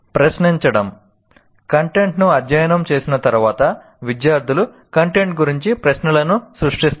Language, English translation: Telugu, After studying the content, students generate questions about the content